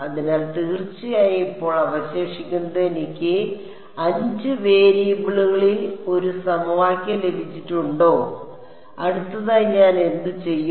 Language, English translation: Malayalam, So, what remains now of course, is I have got one equation in 5 variables and what would I do next